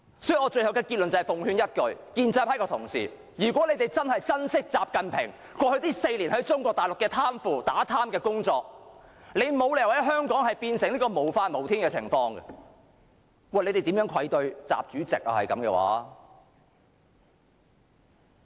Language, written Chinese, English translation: Cantonese, 所以，我最後的結論是奉勸一句，如果建制派同事真的珍惜習近平過去4年在中國大陸的打貪工作，你們沒有理由令香港變成無法無天，否則，你們便愧對習主席。, Thus let me give a piece of advice in my conclusion . If pro - establishment Members treasure the anti - corruption work in Mainland China done by XI Jinping in the past four years they have no reason to make Hong Kong a law - defiant place otherwise they cannot live up to the expectations of Chairman XI